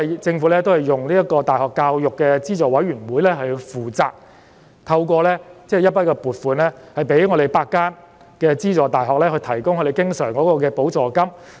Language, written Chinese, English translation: Cantonese, 政府讓大學教育資助委員會負責處理政府撥款，向8間資助大學提供經常補助金。, The Government has made the University Grants Committee UGC responsible for the handling of government funding for the recurrent grants to the eight UGC - funded universities